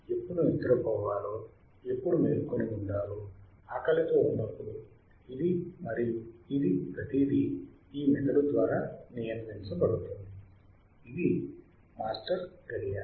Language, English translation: Telugu, It tells us when to sleep, when to be awake, when we are hungry, this and that, everything is controlled by this brain right; it is a master clock